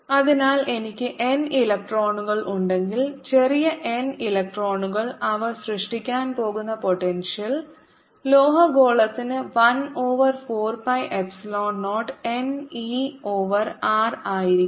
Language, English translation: Malayalam, so if i have n electrons, small n electrons, the potential they are going to give rise to is going to be one over four, pi, epsilon zero, n, e over capital r for the metallic sphere